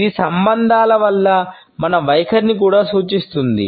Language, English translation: Telugu, It also indicates our attitudes towards relationships